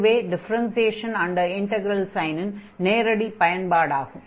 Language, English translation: Tamil, So, it is a direct application of this differentiation under integral sin